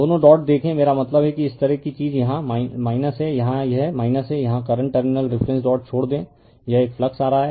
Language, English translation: Hindi, You see both dot I mean this kind of thing here it is minus here it is minus right here current leave the terminal reference dot is this one it is coming flux right